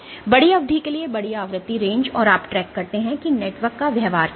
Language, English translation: Hindi, So, for large durations large frequency ranges and you track what is the behavior of the network